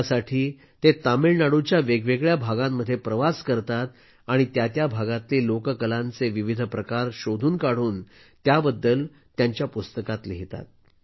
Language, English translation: Marathi, For this, he travels to different parts of Tamil Nadu, discovers the folk art forms and makes them a part of his book